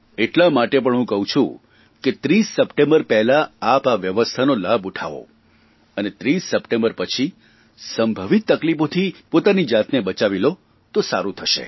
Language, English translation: Gujarati, And so I say that please avail of this facility before this date and save yourselves from any possible trouble after the 30th of September